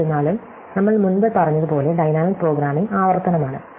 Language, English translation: Malayalam, However, as we said before, dynamic programming is iterative